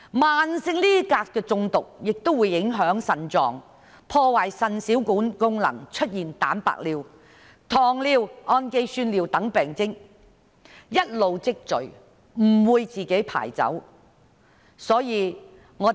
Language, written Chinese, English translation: Cantonese, 慢性鎘中毒亦會影響腎臟，破壞腎小管功能，出現蛋白尿、糖尿、胺基酸尿等病徵，一直積聚，不能自動排出。, Chronic poisoning by cadmium will also affect the kidney and cause renal tubular dysfunction with such symptoms as abnormal excretion of protein glucose and amino acid in urine which will continue to accumulate without being excreted spontaneously